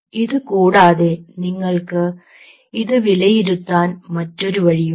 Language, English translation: Malayalam, apart from it, there is another way you can evaluate